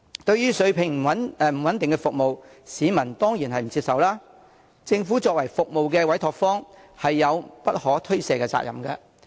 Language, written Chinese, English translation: Cantonese, 對於水平不穩定的服務，市民當然不接受，政府作為服務的委託方有不可推卸的責任。, The public certainly do not accept services of an unstable quality while the Government which has entrusted the provision of services to contractors has a responsibility that cannot be shirked